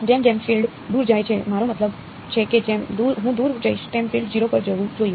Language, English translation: Gujarati, As the field goes far away, I mean as I go far away the field should go to 0